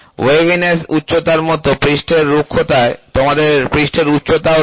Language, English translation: Bengali, So, the in a surface roughness, you also like waviness height, you also have surface height